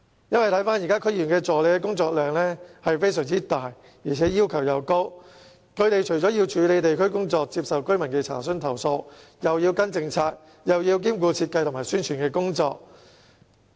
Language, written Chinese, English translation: Cantonese, 這是由於現時區議員助理的工作量大，而且要求高，他們既要處理地區工作、接受居民的查詢和投訴，又要跟進政策，也要兼顧設計和宣傳的工作。, This is because at present the workload of assistants to DC members is very heavy and the work most demanding . Not only do they have to cope with district work answer enquiries and receive complaints from the public they also have to follow up policies and perform design and publicity duties as well